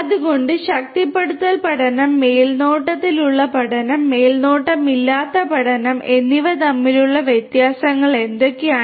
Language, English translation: Malayalam, So, what are the differences between reinforcement learning, supervised learning and unsupervised learning